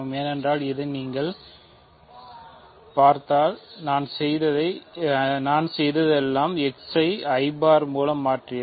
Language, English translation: Tamil, But this means right, because this if you look at this all we have done is that replaced x by i bar